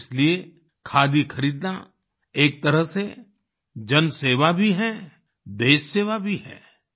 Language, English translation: Hindi, That is why, in a way, buying Khadi is service to people, service to the country